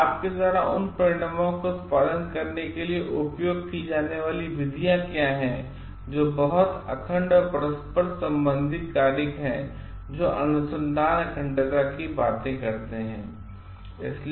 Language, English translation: Hindi, So, what is the methods you used to produce those results are very interconnected and interrelated factors which talks of research integrity